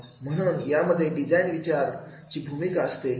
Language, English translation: Marathi, They are having the approach of design thinking